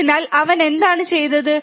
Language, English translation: Malayalam, So, what he has done